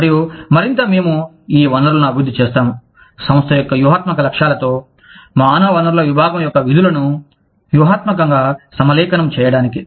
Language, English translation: Telugu, And, the more, we develop the, you know, we develop these resources, in order to, strategically align the functions of the human resources department, with the strategic objectives of the company